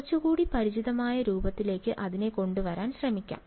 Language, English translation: Malayalam, Let us try to get it into a little bit more of a familiar form ok